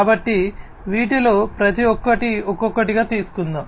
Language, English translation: Telugu, So, let us take up one by one each of these